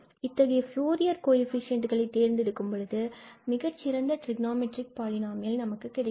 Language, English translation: Tamil, So, we have the best trigonometric polynomial by choosing these coefficients of the polynomial as Fourier coefficients